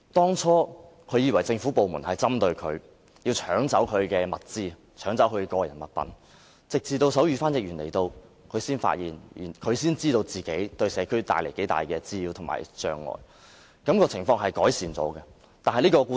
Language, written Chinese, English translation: Cantonese, 最初，他以為政府部門針對他，要搶走他的個人物品，直到手語翻譯員來到，他才知道自己對社區帶來多大的滋擾和障礙，情況其後有所改善。, At the beginning he thought that government departments were targeting him and robbing personal items from him . Later on he started to realize the nuisance and obstruction he had caused in the community after the appearance of sign language interpreter